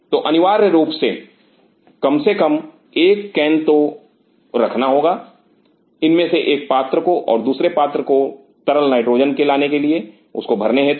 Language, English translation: Hindi, So, essentially have to have at least one can, one of these vessels and another one to bring the liquid nitrogen to fill this